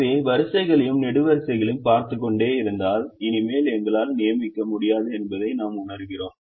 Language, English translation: Tamil, so if we keep repeating, looking at the rows and columns, we realize that we cannot make anymore assignment